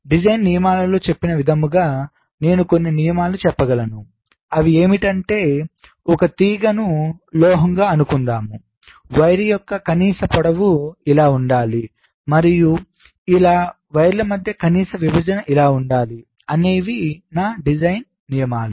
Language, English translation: Telugu, so design rule says that, while i can specify some rule of the thumb, like, let say, a wire which is being laid out on, let say, metal one, i tell that the minimum length of the wire should be this and the minimum separation between two wires should be this: these will be my design rules